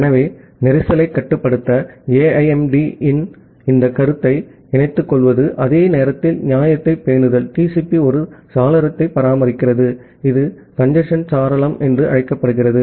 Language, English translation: Tamil, So, to incorporate this notion of AIMD for congestion control, while maintaining fairness; TCP maintains a window, which is called a congestion window